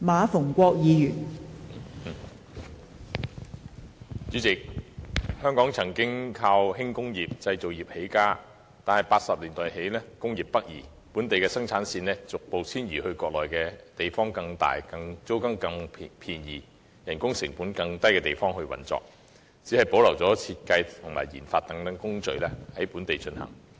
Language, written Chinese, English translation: Cantonese, 代理主席，香港依靠輕工業和製造業起家，但在1980年代起工業北移，本地生產線逐步遷移國內，在一些地方較大、租金較便宜及人工成本較低的地方運作，只保留設計和研發等工序在本地進行。, Deputy President Hong Kong has relied on the light industry and manufacturing industry for its early development . However with the northward migration of industries since the 1980s local production lines have been gradually relocated to some Mainland places where industries can be operated with more space lower rents and lower labour costs . Only such work processes as design and research and development RD have remained in Hong Kong